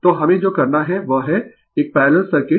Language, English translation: Hindi, So, so in what we have to do is that is a parallel circuit